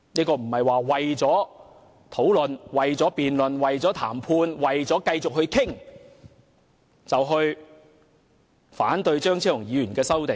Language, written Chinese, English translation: Cantonese, 我們不應為了辯論、談判和繼續討論，而反對張議員的修正案。, We should not oppose Dr CHEUNGs amendments for the sake of debate negotiation and continuous discussion